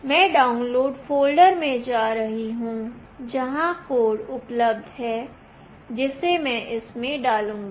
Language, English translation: Hindi, I am going to the download folder, where the code is available, which I will dump it in this